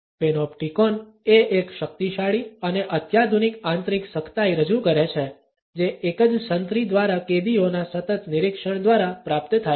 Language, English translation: Gujarati, The Panopticon offered a powerful and sophisticated internalized coercion, which was achieved through the constant observation of prisoners by a single sentry